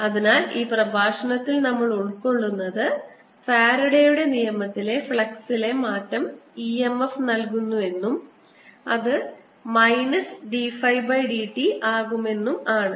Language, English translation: Malayalam, so what we have covered in this lecture is that change in flux by faradays law gives e, m, f, which is given as minus d phi by d